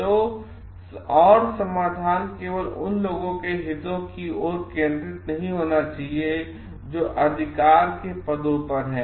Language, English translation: Hindi, So, and the solutions should not be geared towards the interests of only those who are in positions of authority